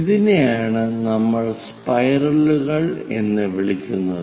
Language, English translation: Malayalam, This is what we call spiral